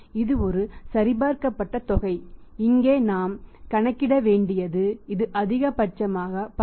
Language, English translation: Tamil, This is a verified amount that is here we have to calculate here that if this is the time period maximum that is 10